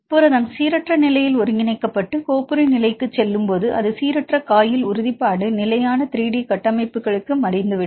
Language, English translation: Tamil, When the protein synthesized in random state and go to the folder state it fold from the random coil confirmation to stable 3D structures